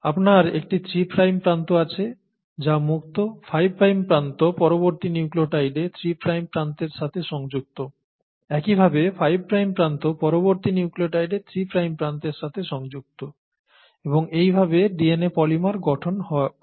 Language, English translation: Bengali, So you have one three prime end that is free, the five prime end attaches to the three prime end of the next nucleotide, similarly the five prime end attaches to the next, to the three prime end of the next nucleotide and so on and so forth to form the polymer of DNA